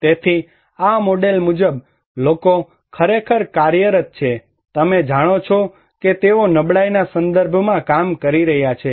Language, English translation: Gujarati, So, according to this model, people are actually operating, you know they are working in a context of vulnerability